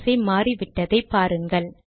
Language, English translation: Tamil, Note that the ordering has changed now